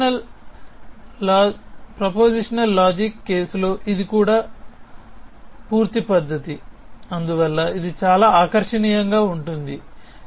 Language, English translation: Telugu, In proportional logic case also it is a complete method essentially which is why it is so attractive essentially